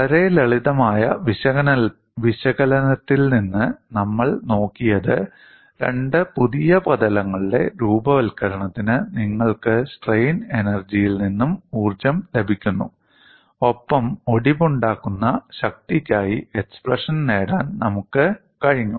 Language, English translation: Malayalam, Now, we have looked at from very simplistic analysis that, you had got a energy from strain energy for the formation of two new surfaces, and we were able to get the expression for fracture strength